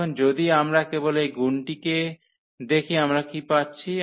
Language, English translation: Bengali, Now if we just look at this multiplication what we are getting